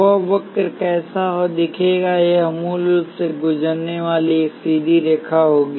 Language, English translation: Hindi, What will that curve look like, it will be a straight line passing through the origin